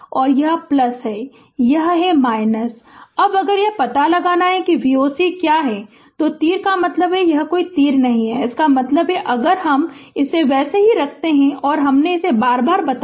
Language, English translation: Hindi, Now, if you want to find out what is V o c, then arrow means plus and it is not no arrow means if I just keep it as it is it is minus and I told you again and again